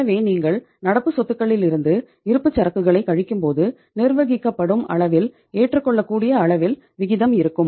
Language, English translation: Tamil, So when you are subtracting inventory from the current assets the ratio becomes manageable, at the acceptable level